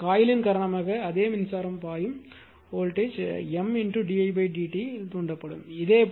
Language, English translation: Tamil, So, once because of this coil same current is flowing voltage will be induced there in M into d i by d t